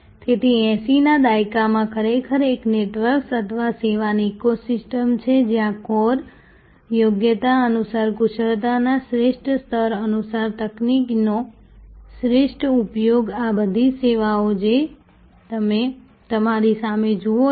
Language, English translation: Gujarati, So, in the 80’s actually a network or eco system of service, where according to competence core competence according to the best level of expertise best use of technology the all these services, that you see in front of you